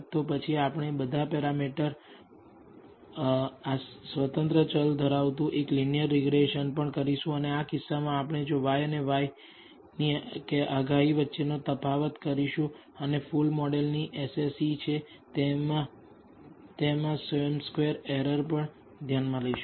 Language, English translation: Gujarati, Then we will also perform a linear regression containing all the parameters, independent variables, and in this case we will if we compute the difference between y and y predicted and take the sum squared errors that is the SSE of the full model